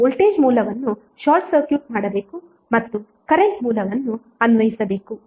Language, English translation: Kannada, You have to simply short circuit the voltage source and apply the current source